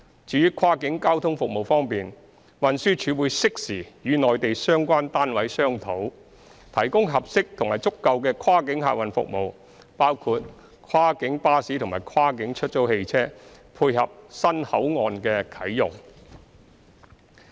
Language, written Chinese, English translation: Cantonese, 至於跨境交通服務方面，運輸署會適時與內地相關單位商討，提供合適及足夠的跨境客運服務，包括跨境巴士及跨境出租汽車，配合新口岸的啟用。, As to cross - boundary transport services the Transport Department will conduct timely discussion with the relevant Mainland authorities in order to provide suitable and adequate cross - boundary passenger transport services including cross - boundary buses and cars for hire to interface with the commissioning of the new Port